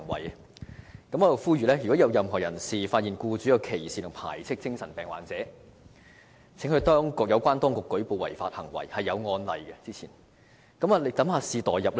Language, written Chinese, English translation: Cantonese, 我在這裏呼籲，如果任何人士發現僱主歧視或排斥精神病患者，請向有關當局舉報這類違法行為，而之前亦曾有類似的案例。, I appeal to anyone who is aware that an employer has discriminated or ostracized a psychiatric patient to report the offence to the authorities . I am aware that similar cases were reported in the past